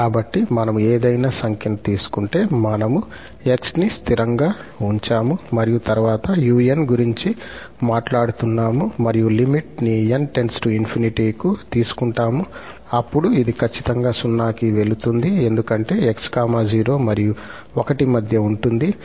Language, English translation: Telugu, So, if we take any number, we fix for x and then we talk about xn and take the limit as n approaches to infinity, then this is definitely going to 0 because x lies between 0 and 1 or x is smaller than 1